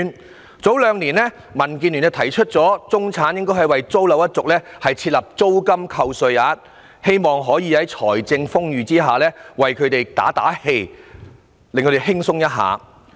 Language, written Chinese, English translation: Cantonese, 民主建港協進聯盟在兩年前提出應為中產租樓一族設立租金扣稅額，希望可以在財政豐裕的情況下，為他們打打氣，讓他們生活可較輕鬆。, The Democratic Alliance for the Betterment and Progress of Hong Kong DAB proposed two years ago to introduce tax deduction for rental payments for the middle - class with a view to encouraging them and making their lives easier when the Government had ample reserves